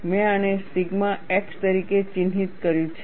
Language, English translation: Gujarati, I have marked this as sigma x